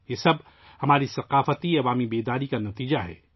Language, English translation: Urdu, All this is the result of our collective cultural awakening